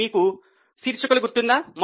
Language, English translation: Telugu, Do you remember the headings